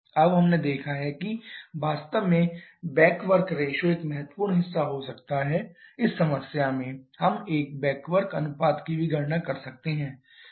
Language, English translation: Hindi, Now we have seen that the back work ratio can be a significant portion actually in this problem we could have calculated a back work ratio also